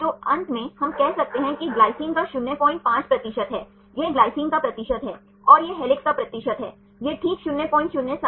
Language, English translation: Hindi, 5 the percentage of glycine this is the percentage of glycine, and this is the percentage of helixes right this is 0